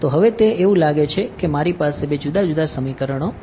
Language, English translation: Gujarati, So now, here is it seems like I have two different sets of equations